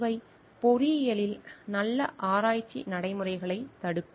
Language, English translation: Tamil, These are some of the deterrents of good research practices in engineering